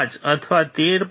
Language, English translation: Gujarati, 5 or 13